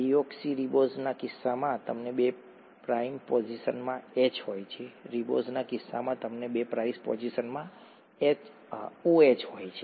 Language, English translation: Gujarati, In the case of deoxyribose you have an H in the two prime position, in the case of ribose you have an OH in the two prime position